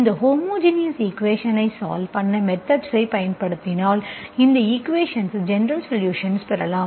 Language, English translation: Tamil, Once you apply the method to solve this homogeneous equation, this is how you will get a solution, general solution of this equation for some G